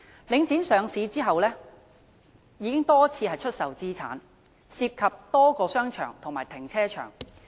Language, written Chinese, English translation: Cantonese, 領展上市後已經多次出售資產，涉及多個商場和停車場。, Subsequent to its listing Link REIT has sold its assets on many occasions involving a number of shopping arcades and car parks